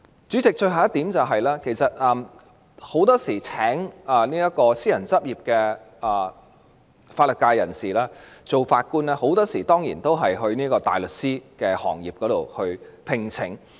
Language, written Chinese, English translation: Cantonese, 主席，最後一點，司法機關聘請私人執業的法律界人士擔任法官時，很多時候都是從大律師行業中聘請。, President one last point when the Judiciary recruits legal professionals in private practice as Judges it often targets at those from the barrister stream